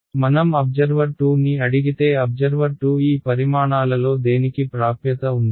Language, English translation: Telugu, So, when I look at if I ask observer 2 observer 2 has access to which of these quantities